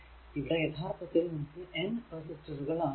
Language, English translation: Malayalam, And if you have a n number of resistor Rn